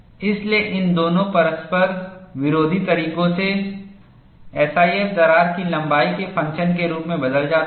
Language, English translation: Hindi, So, in both these conflicting waves the S I F changes as a function of crack length